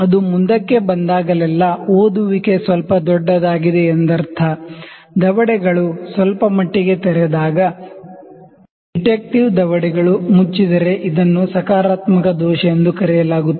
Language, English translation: Kannada, So, whenever it is forward, it would mean that the reading is a little larger whether it of the detective jaws which are closed when the jaws are open in little this is known as positive error